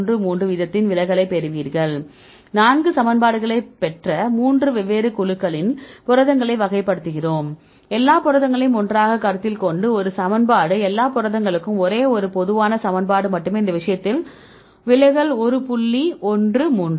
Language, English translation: Tamil, Then we classify the proteins in 3 different groups we derived four equations, one equation by considering all the proteins together, right only one common equation for all the all the proteins in this case the deviation is one point one 3 then what we did